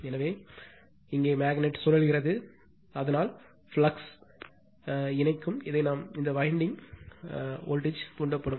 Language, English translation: Tamil, So, as it is if it magnet is revolving that means, flux linking here this your what we call this your what we call this winding, so voltage will be induced right